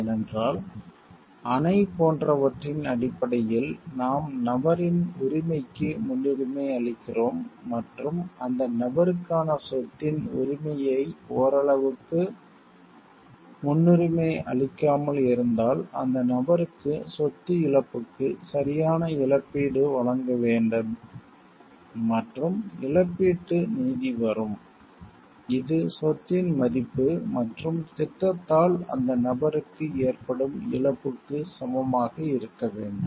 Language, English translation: Tamil, Because if we are prioritizing right of the we person in terms of like the dam is more important, and we are like somewhat not prioritizing the right of the property for the person, then the person needs to be properly compensated for the loss of the property, and there will come the compensatory justice; which is at the should be equivalent to the value of the property and the loss that the person is incurring due to the project